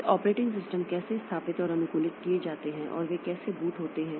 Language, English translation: Hindi, Then how operating systems are installed and customized and how they boot